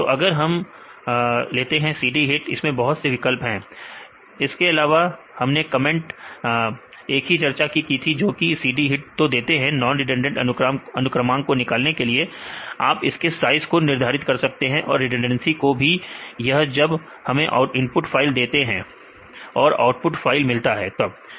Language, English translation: Hindi, So, if we say cd hit right they will have the lot of options also we discussed about the comment what we have to give right, the cd hit to get the non redundant sequences, we can specify the size you can specify the redundancy right or say when we input files and output files you can get that